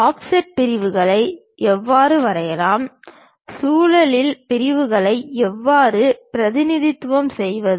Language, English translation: Tamil, How to draw offset sections, how to represent revolve sections